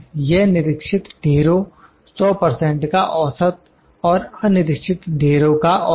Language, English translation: Hindi, It is the average of inspected lots that is 100 percent and uninspected lots